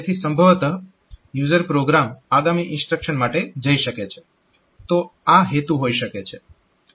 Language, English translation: Gujarati, So, possibly the user program can continue with the next instruction, so that can be that is the purpose